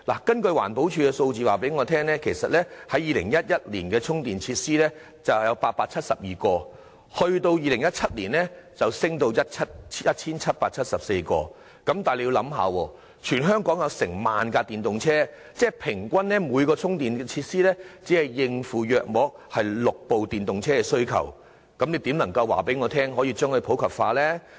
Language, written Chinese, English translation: Cantonese, 根據環保署的數字，充電設施由2011年的872個增至2017年的 1,774 個，但現時全港有近萬輛電動車，即平均每個充電設施須應付約6輛電動車的需求，試問如何能令電動車普及化呢？, According to figures from the Environmental Protection Department the number of chargers has increased from 872 in 2011 to 1 774 in 2017 but there are now some 10 000 EVs in the whole territory meaning that each charger is used to serve the needs of about six EVs on average